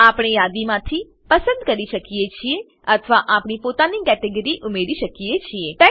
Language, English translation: Gujarati, We can select from the list or add our own category